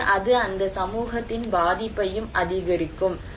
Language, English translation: Tamil, So, it can also increase the vulnerability of that community